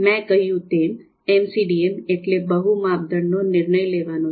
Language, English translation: Gujarati, So as I said the full form of MCDM is multi criteria decision making